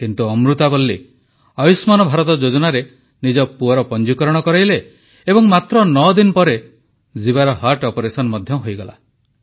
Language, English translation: Odia, However, Amurtha Valli registered her son in the 'Ayushman Bharat' scheme, and nine days later son Jeeva had heart surgery performed on him